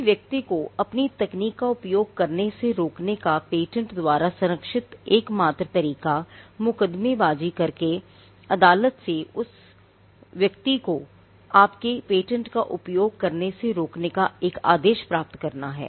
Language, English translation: Hindi, The only way you can stop a person from using your technology which is protected by patents is to litigate and to get an order from the court restraining that person from using your patent